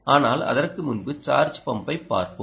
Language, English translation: Tamil, before that, lets look at charge pump